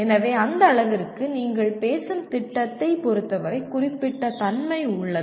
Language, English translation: Tamil, So to that extent, there is specificity with respect to the program that you are talking about